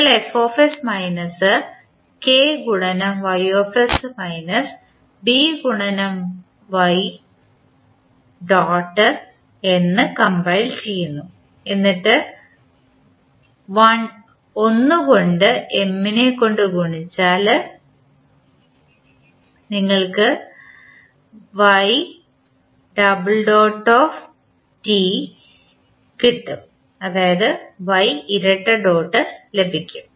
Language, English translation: Malayalam, You compile f s minus K into y s minus B into y dot then you multiply with 1 by M, you get y double dot